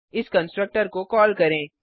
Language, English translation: Hindi, let us call this constructor